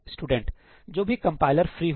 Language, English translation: Hindi, Whichever compiler is free